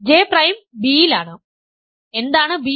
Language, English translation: Malayalam, So, this J is in A, J prime is in B